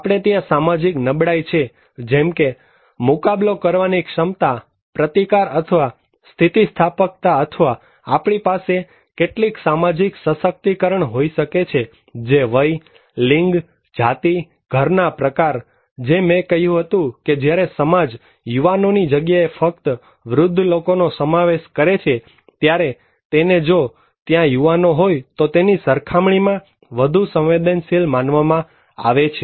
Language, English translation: Gujarati, We have the social vulnerability like, coping ability, resistance or resilience or we could have some social empowerment like, age, gender, ethnicity, household type as I said that younger people are when a society is comprising only by elder people, the society is considered to be more vulnerable than when there are younger people also